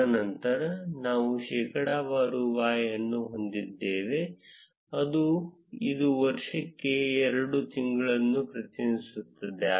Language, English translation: Kannada, And then we have percentage y, which represents two days for the year